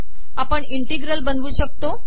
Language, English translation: Marathi, We can create integral